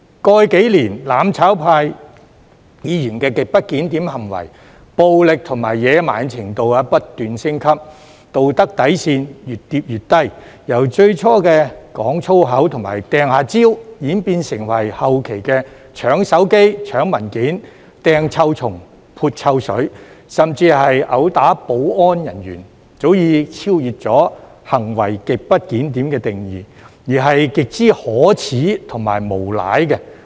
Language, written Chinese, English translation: Cantonese, 過去數年，"攬炒派"議員的極不檢點行為，暴力及野蠻的程度不斷升級，道德底線越跌越低，由最初的講粗口及"掟"蕉，演變成後期的搶手機、搶文件、"掟"臭蟲、撥臭水，甚至毆打保安人員，早已超越"行為極不檢點"的定義，而是極之可耻及無賴。, At first they used foul language and hurled bananas . Later they resorted to snatching a cell phone snatching papers throwing stinking worms and splashing foul - smelling liquid and even assaulting security officers . These behaviours have far exceeded the definition of grossly disorderly conduct and are shameless and rogue